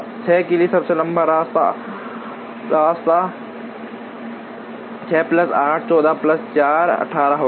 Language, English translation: Hindi, For 6 the longest path will be 6 plus 8, 14 plus 4, 18